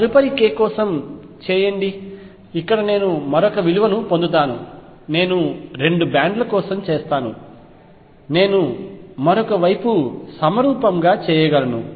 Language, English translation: Telugu, Do it for the next k I will get another value here another value here I just do it for 2 bands I can do symmetrically for the other side